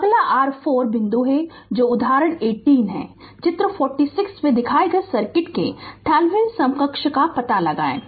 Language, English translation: Hindi, Next is your 4 point that example 18, the find the Thevenin equivalent of the circuit shown in figure 46